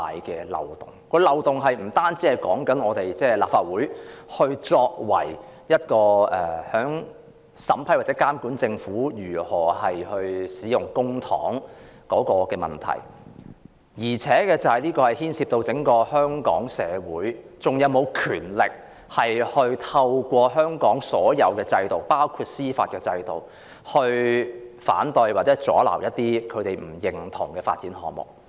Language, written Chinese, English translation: Cantonese, 這個漏洞不僅涉及立法會審批或監察政府使用公帑的職能，也牽涉香港社會是否還有權力透過香港所有制度，包括司法制度來反對或阻撓一些不獲認同的發展項目。, Such a loophole involves not only the function of the Legislative Council to approve or monitor the Governments use of public funds but also whether the society of Hong Kong still has the power to through all systems in Hong Kong including the judicial system oppose or block some development projects that fail to gain approval